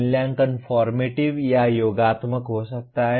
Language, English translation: Hindi, Assessment could be formative or summative